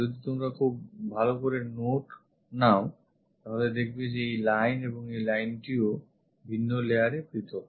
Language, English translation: Bengali, Here if you are noting carefully, this line and this one are different at different layers